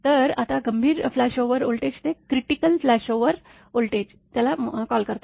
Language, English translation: Marathi, So, now then critical flashover voltage they call CFO